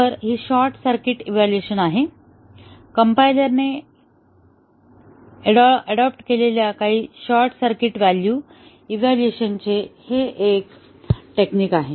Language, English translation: Marathi, So, these are the short circuit evaluation; some of the short circuit evaluation techniques adopted by compilers